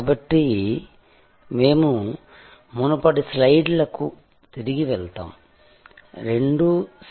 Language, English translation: Telugu, So, we will go back to previous slides, both inspired by the seminal work of C